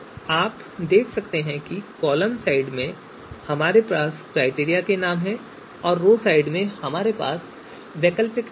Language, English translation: Hindi, So you can see in the in the in the column side these are these are actually you know criteria names and on the row side what we have is you know alternatives